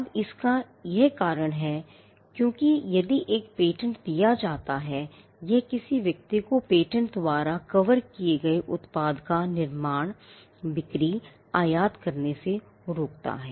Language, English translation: Hindi, Now, there is a reason for this because, if a patent is granted, it stops a person from using manufacturing, selling, importing the product that is covered by the patent